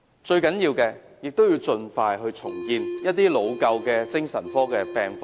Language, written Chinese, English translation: Cantonese, 最重要的是盡快重建老舊的精神科醫院及病房。, Most importantly the Government should expeditiously redevelop old psychiatric hospitals and wards